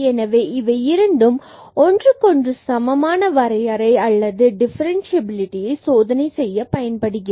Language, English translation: Tamil, So, the both are equivalent definition or testing for differentiability